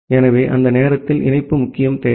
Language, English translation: Tamil, So, during that time connectivity was the prime requirement